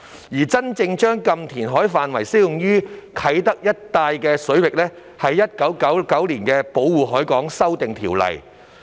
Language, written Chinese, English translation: Cantonese, 而真正將"禁填海"範圍適用於啟德一帶水域的規定，是源於《1999年保護海港條例》。, The stipulation that actually extended the no - reclamation area to cover the waters around Kai Tak came from the Protection of the Harbour Amendment Ordinance 1999